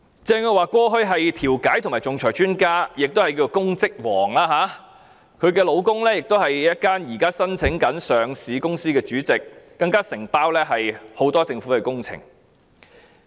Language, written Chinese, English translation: Cantonese, 鄭若驊過去是調解和仲裁專家，亦是"公職王"，她的丈夫是一間上市公司的主席，承接很多政府工程。, Teresa CHENG used to be an expert in mediation and arbitration and was also the queen of public service . Her husband is the chairman of a listed company and undertakes many government projects